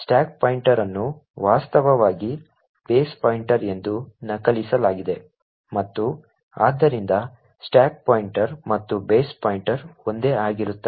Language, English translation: Kannada, The stack pointer is in fact copied to be base pointer and therefore the stack pointer and the base pointer are the same